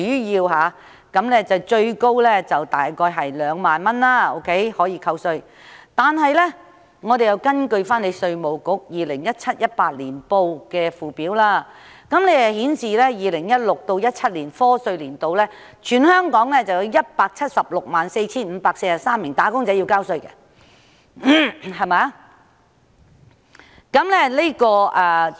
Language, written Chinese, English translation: Cantonese, 以每宗個案可減稅上限2萬元為例，根據稅務局 2017-2018 年年報的附表顯示 ，2016-2017 課稅年度全港有 1,764 543名"打工仔女"需繳交薪俸稅。, Take the reduction ceiling of 20,000 per case as an example according to the Schedule of the 2017 - 2018 Annual Report of the Inland Revenue Department 1 764 543 wage earners in Hong Kong were required to pay salaries tax in the year of assessment 2016 - 2017